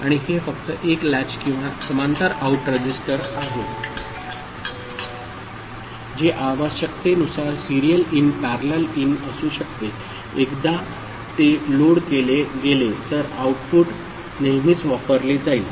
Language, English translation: Marathi, And this is just a latch or a parallel out register which could be serial in parallel in depending on the requirement once it is loaded it is not I mean, the output is always being used